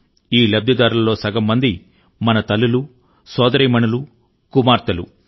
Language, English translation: Telugu, About 50 percent of these beneficiaries are our mothers and sisters and daughters